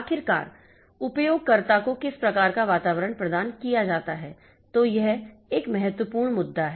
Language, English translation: Hindi, So, finally, what type of environment that is provided to the user